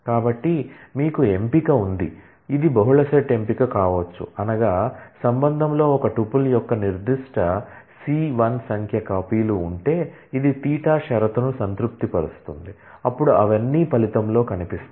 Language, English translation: Telugu, So, you have a selection, which can be multi set selection, which means that, if there are certain c1 number of copies of a tuple in the relation, which satisfy the condition theta then all of them will feature in the result